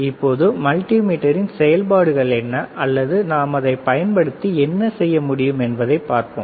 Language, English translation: Tamil, Now, we will see what are the functions or what are the things that we can do with a multimeter, all right